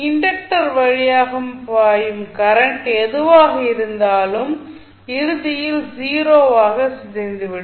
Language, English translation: Tamil, So, whatever is there the current which is flowing through the inductor will eventually decay out to 0